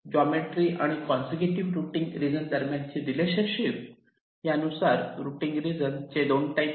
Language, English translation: Marathi, now, depending on their geometric and the relationship between the consecutive routing regions, the routing regions can be of two types